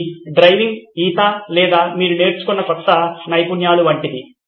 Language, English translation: Telugu, This is about just like driving, swimming or new skills that you have learnt